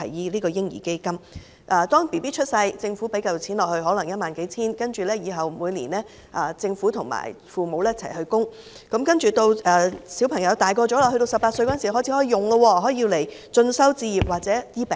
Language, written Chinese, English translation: Cantonese, 當嬰兒出生後，政府投放一筆可能是幾千元至1萬元的款項，然後每年由政府和父母共同供款，直至兒童年滿18歲時便可使用，可以用於進修、置業，甚至治病。, When a baby is born the Government would inject a sum of say several thousand dollars to 10,000 after which the Government and parents would both make contributions every year until the child reaches the age of 18 . At that time children can make use of the savings to further their studies acquire a home or even receive treatment for diseases